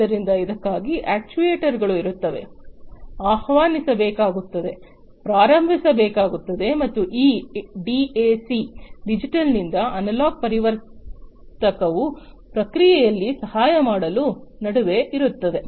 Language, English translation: Kannada, So, for that the actuators will be, you know, will have to be invoked, will have to be started and this DAC Digital to Analog Converter sits in between to help in the process